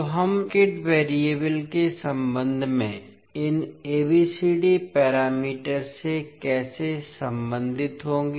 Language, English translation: Hindi, So, how we will relate these ABCD parameters with respect to the circuit variables